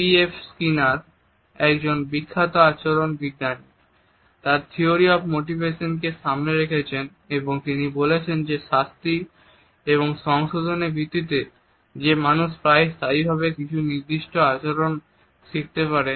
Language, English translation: Bengali, Skinner a famous behavioral scientist had put forward this theory of motivation and he had said that it is on the basis of the punishment and reinforcement that people learn certain behaviors almost in a permanent fashion